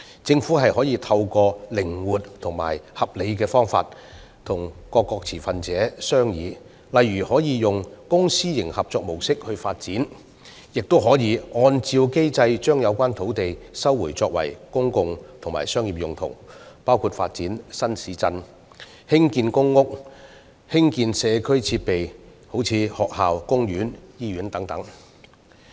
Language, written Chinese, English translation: Cantonese, 政府可透過靈活和合理的方式與各持份者商議，例如可透過公私營合作模式發展，亦可按照機制把有關土地收回作公共和商業用途，包括發展新市鎮、興建公屋，以及興建社區設施如學校、公園、醫院等。, The Government may negotiate with various stakeholders in a flexible and reasonable manner such as adopting the public - private partnership approach for development or resuming the land concerned under the established mechanism for public and commercial uses . This may include the development of new towns construction of PRH and provision of such community facilities as schools parks and hospitals